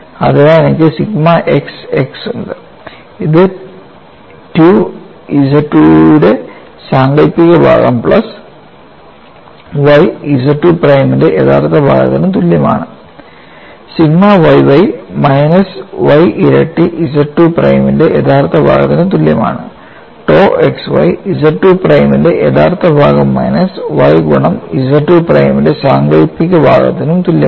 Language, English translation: Malayalam, So, I have sigma xx equal to 2 imagine part of Z 2 plus y real part of Z 2 prime sigma yy equal to minus y times real part of Z 2 prime tau xy equal to real part of Z 2 minus y imaginary part of Z 2 prime